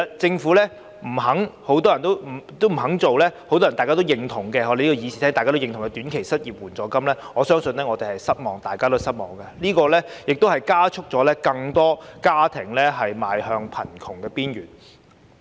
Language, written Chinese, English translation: Cantonese, 政府不肯設立多位議員贊同的短期失業援助金，我相信大家都感到失望，這亦加速更多家庭邁向貧窮邊緣。, The Government is unwilling to introduce short - term unemployment assistance that has been agreed by a number of Members . I believe Members are disappointed . This decision may also push more families to the brink of poverty